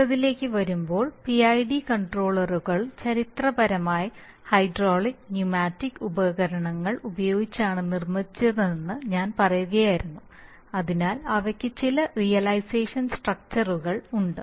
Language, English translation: Malayalam, So coming to the next one, now as I was telling that PID controllers were, historically many of them were made if, using hydraulic and pneumatic devices, so they used to have you know certain realization structures